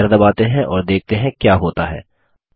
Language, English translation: Hindi, Let us press Enter and see what happens